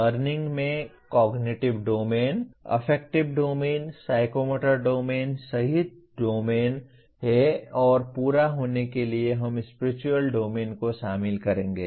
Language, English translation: Hindi, Learning has domains including Cognitive Domain, Affective Domain, Psychomotor Domain and for completion we will include Spiritual Domain